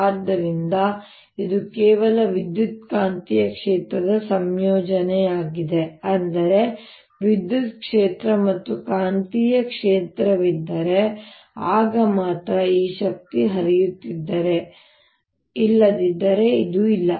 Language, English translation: Kannada, that means if there's an electric field as well as a magnetic field, then only this energy flows, otherwise it's not there